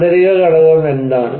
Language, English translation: Malayalam, What is the internal component